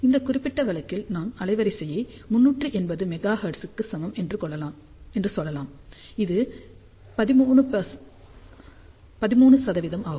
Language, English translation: Tamil, And in this particular case we can say that bandwidth is equal to 380 megahertz which is 13 percent